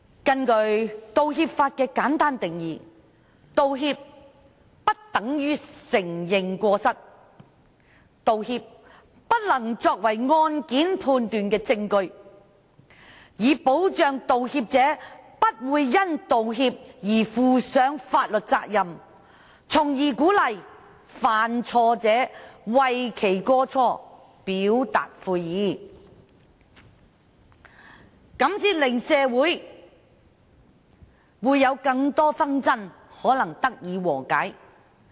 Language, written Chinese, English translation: Cantonese, 根據道歉法的簡單定義，道歉不等於承認過失，道歉不能作為判案的證據，以保障道歉者不會因道歉而負上法律責任，從而鼓勵犯錯者為其過錯表達悔意，這樣才能令更多的社會紛爭得以和解。, According to the simple definition given in the apology law an apology is not equal to an admission of fault and is not admissible as evidence in legal proceedings . This aims to protect the apology maker from being held liable for making an apology so as to encourage the person at fault to express regret for the mistake thereby settling more disputes in society